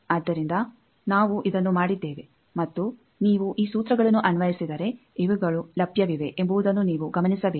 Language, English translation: Kannada, So, we have done this and if you apply these formulas you will have to note actually these are available